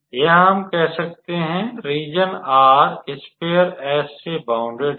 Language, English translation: Hindi, So, again the region R is bounded by the sphere S here let us say